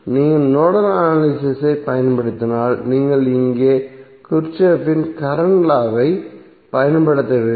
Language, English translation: Tamil, So if you apply nodal analysis that means that you have to use Kirchhoff’s current law here